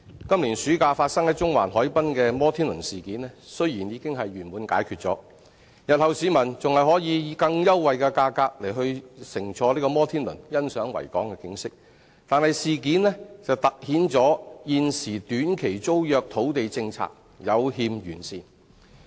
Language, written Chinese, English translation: Cantonese, 今年暑假發生於中環海濱的摩天輪事件，雖然已經圓滿解決，日後市民還可以以更優惠的價格乘坐摩天輪欣賞維港的景色，但事件凸顯了現時短期租約土地政策有欠完善。, Although the row about the Ferris wheel at Central Harbour Front this summer was fully resolved and people can even ride on the wheel and enjoy the view of Victoria Harbour at a much lower price in the future this incident has highlighted the defect of the existing land policy of offering short - term tenancy . Fortunately the row was resolved thanks to mediation